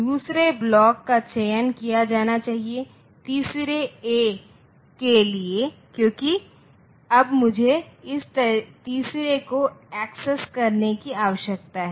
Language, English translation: Hindi, So, second block should be selected second pair should be selected, for the third A what I So, for since now I need to access this third one